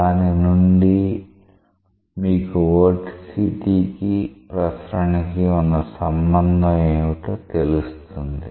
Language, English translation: Telugu, So, from that you can relate vorticity with circulation